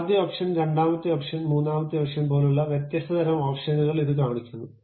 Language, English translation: Malayalam, It shows different kind of options like first option, second option, third option